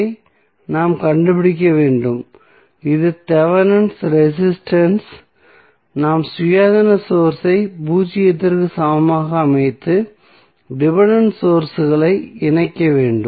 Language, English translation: Tamil, We have to find R Th that is Thevenin resistance we have to set the independent sources equal to zero and leave the dependent sources connected